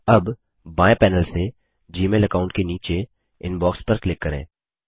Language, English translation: Hindi, From the left panel, under your Gmail account ID, click Inbox